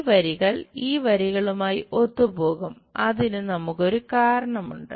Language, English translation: Malayalam, And these lines will coincides with this lines there is a reason we have it